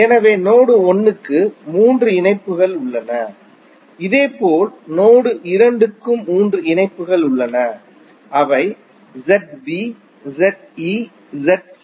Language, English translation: Tamil, So, node 1 has three connections, similarly node 2 also have three connections that is Z B, Z E, Z C